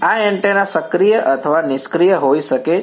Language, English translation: Gujarati, This antenna can be active or passive